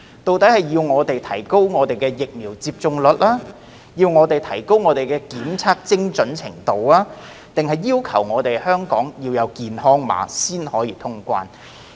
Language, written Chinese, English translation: Cantonese, 究竟我們要提高疫苗接種率、提高檢測精準度，還是香港要有健康碼才能通關？, Do we need to boost the vaccination rate enhance the testing accuracy or have a health code in place in Hong Kong in order to resume quarantine - free travel?